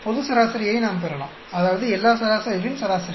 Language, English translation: Tamil, We can get the global average; that means, average of all averages